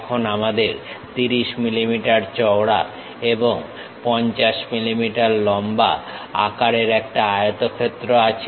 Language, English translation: Bengali, Now, we have a rectangle of size 30 mm in width and 50 mm in length